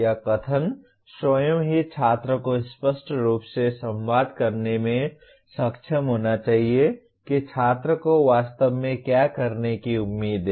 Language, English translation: Hindi, The statement itself should be able to clearly communicate to the student what exactly the student is expected to do